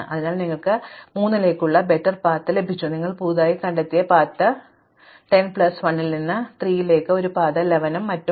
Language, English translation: Malayalam, So, you got a better path to 3 we are discovered in new path, because we had a path to 3 from 10 plus 1 is a 11 and so on